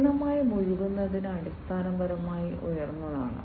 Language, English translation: Malayalam, Fully immersive is high end basically